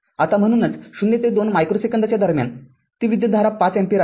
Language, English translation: Marathi, Now, therefore, in between your 0 to 2 micro second, it is 5 ampere, it is 5 ampere